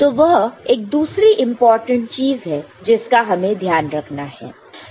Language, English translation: Hindi, So, that is another important point that we take note of